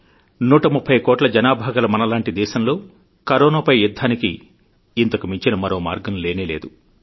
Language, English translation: Telugu, But in order to battle Corona in a country of 130 crore people such as India, there was no other option